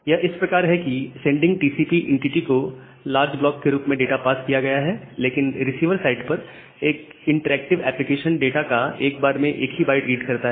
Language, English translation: Hindi, So, it is like that data are passed to the sending TCP entity in large block, but an interactive application under receiver side reads data only one byte at a time